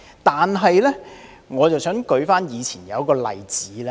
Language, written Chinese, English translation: Cantonese, 但是，我想舉出一個例子。, However I would like to cite an example